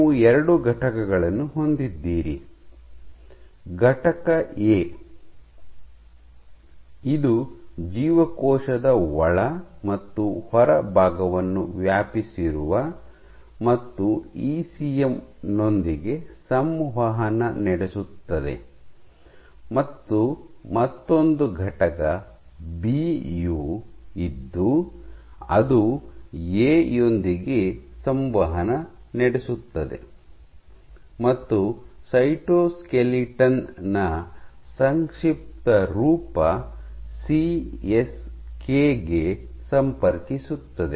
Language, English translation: Kannada, So, you have two entities entity A which span both the inside and the outside of the cell and interacts with the ECM and you have another entity B which interact with A and connects to the CSK is short for cytoskeleton